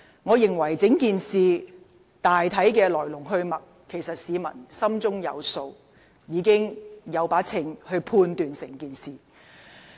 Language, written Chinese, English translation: Cantonese, 我認為市民對整件事大體上的來龍去脈，心中自有定斷。, In my view the public generally would have made their own judgments based on the ins and outs of the incident